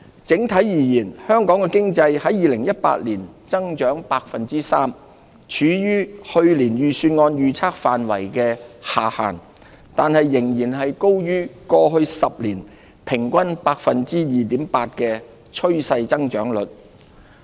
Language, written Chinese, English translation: Cantonese, 整體而言，香港經濟在2018年增長 3%， 處於去年預算案預測範圍的下限，但仍然高於過往10年平均 2.8% 的趨勢增長率。, Overall Hong Kongs economy grew by 3 % in 2018 at the lower end of the range projected in last years Budget but still higher than the trend growth rate of 2.8 % over the past decade